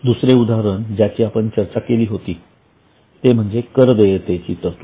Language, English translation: Marathi, Another example which we are already discussed was provision for taxes